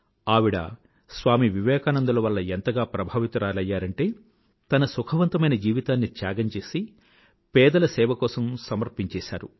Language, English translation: Telugu, She was so impressed by Swami Vivekanand that she renounced her happy prosperous life and dedicated herself to the service of the poor